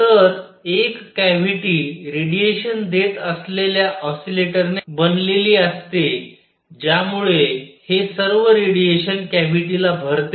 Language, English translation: Marathi, So, a cavity is made up of oscillators giving out radiation, so that all this radiation fills up the cavity